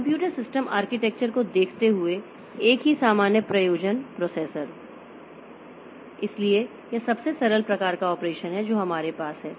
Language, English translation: Hindi, Looking into computer system architectures, so single general purpose processor, so this is the most simple type of operation that we have